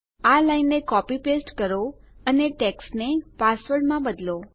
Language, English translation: Gujarati, Copy paste this line and change text to password